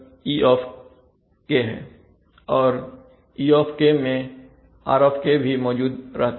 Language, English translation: Hindi, But if the, if r is not changed